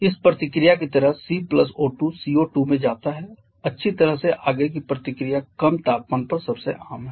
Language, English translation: Hindi, Like this reaction C + O2 go to CO2 well the forward reaction is most common at low temperatures